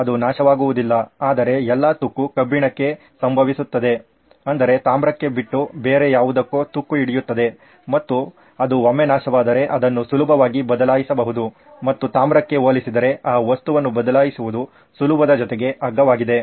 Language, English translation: Kannada, It would not corrode but all the corrosion would happen with iron, sounds like magic that something else takes the corrosion away and that gets corroded once that and it is easier and cheaper to replace that material compared to copper which is more expensive